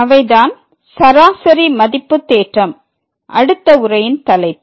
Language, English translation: Tamil, And, those are the mean value theorem the topic of the next lecture